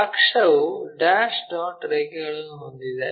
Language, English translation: Kannada, So, axis dash dot line